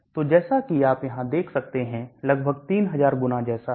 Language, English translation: Hindi, So as you can see here almost 3000 times like that